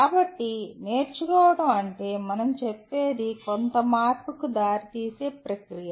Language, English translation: Telugu, So, what we are saying is learning is a process that leads to some change